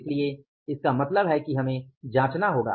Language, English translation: Hindi, So, it means we will have to check up